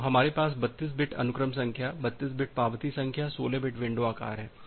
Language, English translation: Hindi, So, we have 32 bit sequence number 32 bit acknowledgement number, 16 bit window size